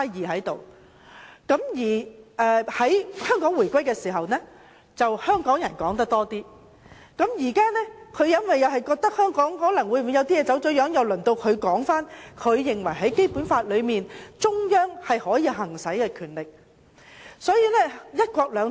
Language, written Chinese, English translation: Cantonese, 在香港回歸時，香港人就此事談論得比較多，但現在由於中央政府覺得香港可能有些事情走了樣，中央政府便說明它認為在《基本法》中它可以行使的權力。, When Hong Kong was reunified with the Mainland there were a lot of discussions about this subject by Hong Kong people but as the Central Government now thinks that certain things in Hong Kong have been distorted it thus stated the powers which can be exercised by the Central Government under the Basic Law